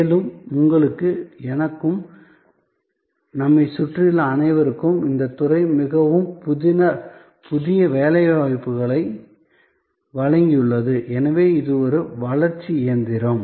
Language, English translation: Tamil, Also very important for you and for me and for all of us around, that this sector has contributed most new employments and therefore this is a growth engine